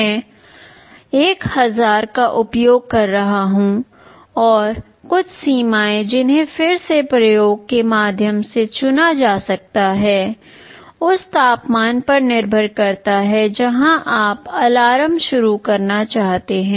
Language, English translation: Hindi, I am using 1000, and some threshold that again can be chosen through experimentation; depends on the temperature where you want to start the alarm